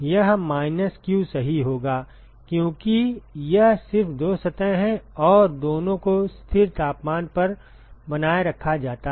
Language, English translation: Hindi, It will be minus q right because, it is just there are just two surfaces and both are maintained at constant temperature